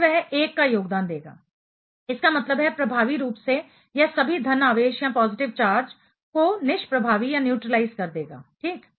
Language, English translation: Hindi, Then, that should have contributed to 1; that means, effectively it will be neutralizing all of the positive charge that is over there; ok